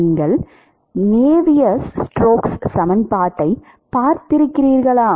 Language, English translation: Tamil, You, you have seen Navier’s stokes equation right